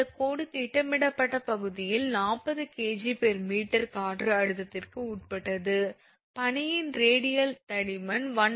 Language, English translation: Tamil, The line is subjected to wind pressure 40 kg per meter square of the projected area, the radial thickness of the ice is given 1